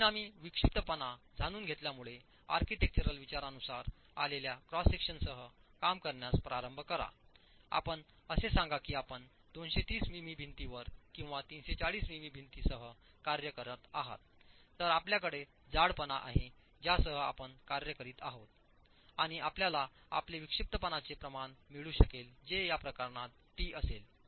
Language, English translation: Marathi, Knowing the result in eccentricity divide by the assumed you start working with a cross section which comes from architectural considerations, let's say you're working with a 230 m wall or 340 m wall, then you have thickness with which you're working and you can get your eccentricity ratio which in this case would be e cap divided by T